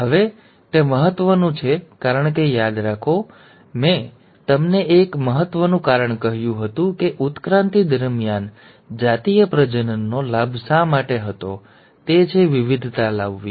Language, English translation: Gujarati, Now that is important, because remember, I told you one important reason why there was advantage of sexual reproduction during evolution, is to bring in variation